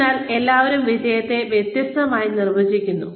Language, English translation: Malayalam, So, everybody defines success, differently